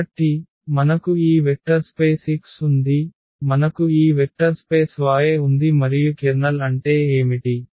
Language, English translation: Telugu, So, we have this vector space X we have this vector space Y and what is the kernel